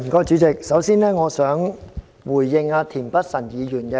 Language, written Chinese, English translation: Cantonese, 主席，我首先想回應田北辰議員。, President first I wish to respond to Mr Michael TIEN